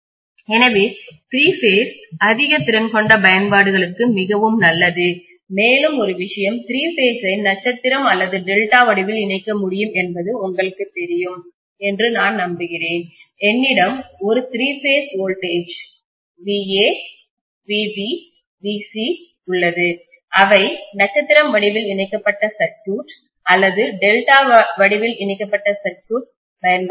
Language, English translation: Tamil, So three phase is really really good for high capacity applications, and one more thing is that I am sure you guys know that three phase can be connected either in star or delta, so if I have Va, Vb and Vc, all the three phases voltages they can be applied to either star connected circuit or delta connected circuit